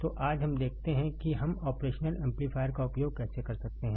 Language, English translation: Hindi, So, today let us see how we can use the operational amplifier